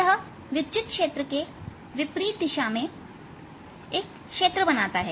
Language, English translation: Hindi, it creates intern, an electric field in the opposite direction